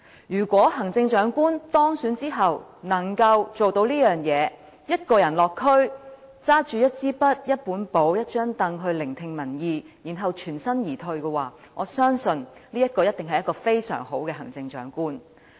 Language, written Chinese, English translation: Cantonese, 如果行政長官當選之後能夠做到這件事，一個人落區，拿着一支筆、一本簿、一張櫈聆聽民意，然後全身而退，我相信他一定是一位非常好的行政長官。, If an elected Chief Executive can really bring with him or her a pen a notepad and a stool and visit the districts alone in order to listen to public opinions he or she must be a very good Chief Executive